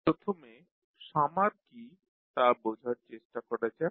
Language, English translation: Bengali, First let us try to understand what is summer